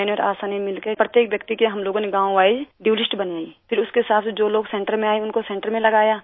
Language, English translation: Hindi, ASHA and I together prepared a village wise DUE list…and then accordingly, people who came to the centre were administered at the centre itself